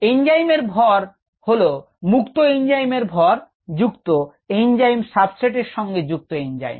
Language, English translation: Bengali, the mass of the total enzyme is the mass of the free enzyme plus the mass of the enzyme that is bound to the enzyme substrate complex, right